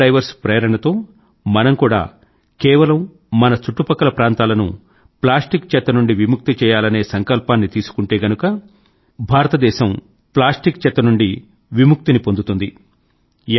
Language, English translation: Telugu, Pondering over, taking inspiration from these scuba divers, if we too, take a pledge to rid our surroundings of plastic waste, "Plastic Free India" can become a new example for the whole world